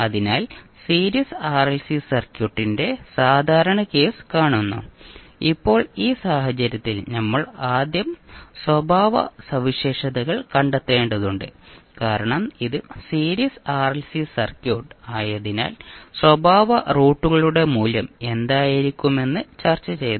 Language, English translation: Malayalam, So we see the typical case of Series RLC Circuit, now in this case what we have to do we have to first find out the characteristic roots because it is series (())(06:57) RLC circuit we discussed what will be the value of the characteristic roots